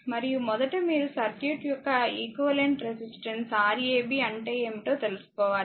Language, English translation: Telugu, And you have to find out first what is Rab equivalent resistance of this circuit first you have to find out right